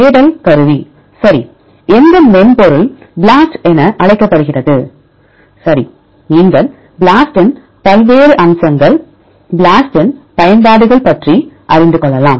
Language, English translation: Tamil, Search tool right what is the software is called BLAST right, you can what are the various features of BLAST what applications of BLAST